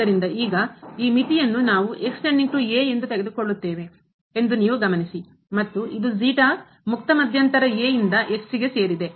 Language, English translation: Kannada, So, now, you note that if this limit here we take as a goes to and since this is belongs to the open interval to